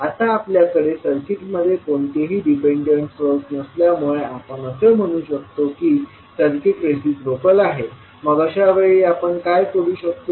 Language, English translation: Marathi, Now since we do not have any dependent source in the circuit, we can say that the circuit is reciprocal so in that case, what we can do